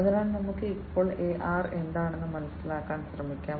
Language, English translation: Malayalam, So, let us now try to understand what is AR